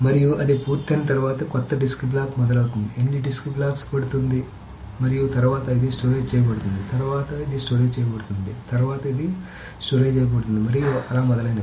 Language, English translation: Telugu, And after that is finished and new disk block starts, so how many disk blocks it takes, and then this is stored, then this is stored, and so on so forth, then this is stored, and so on, so then this is stored, and so forth